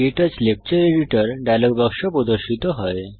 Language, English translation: Bengali, The KTouch Lecture Editor dialogue box appears